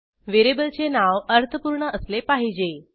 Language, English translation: Marathi, Variable names should be meaningful